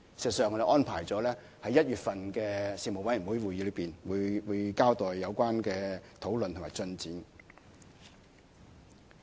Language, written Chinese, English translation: Cantonese, 事實上，我們安排了在2017年1月的事務委員會會議上交代有關的討論及進展。, In fact we have scheduled to give an account of the relevant discussions and progress to the Panel at its meeting in January 2017